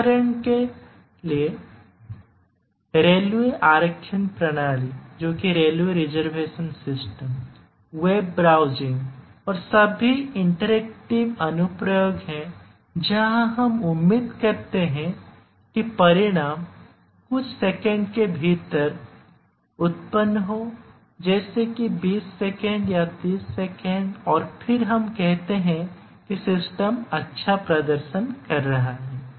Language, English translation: Hindi, web browsing and in fact, all interactive applications where we expect the result to be produced within few seconds 20 seconds, 30 second and then we say that the system is performing well